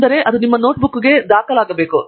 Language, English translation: Kannada, So, all that should go into your notebook